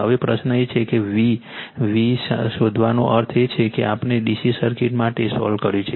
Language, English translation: Gujarati, Now, question is that what is first one is to find out the v v means that we have solve for DC circuit